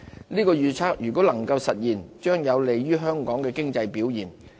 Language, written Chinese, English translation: Cantonese, 這預測倘若能夠實現，將有利香港經濟的表現。, If this forecast comes true Hong Kongs economy can benefit from the growth